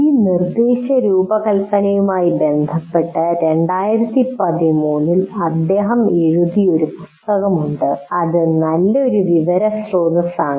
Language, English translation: Malayalam, And there is a 2013 book written by him related to this instruction design that is a good source of information